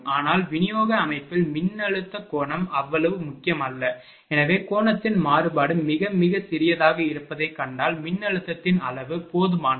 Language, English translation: Tamil, But, as in the distribution system voltage angle is not that important therefore, it because we have seen the variation of angle is very, very small, that is why magnitude of voltage is sufficient